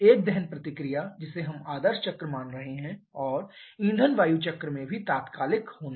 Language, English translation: Hindi, A combustion reaction we are assuming ideal cycle and also in fuel air cycle to be instantaneous